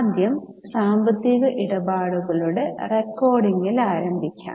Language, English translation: Malayalam, Okay, to first begin with the recording of financial transactions